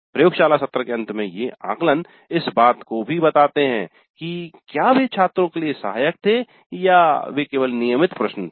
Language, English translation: Hindi, Now these assessments at the end of a laboratory session were they helpful to the students or were they just mere routine questions